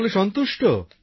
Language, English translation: Bengali, All were satisfied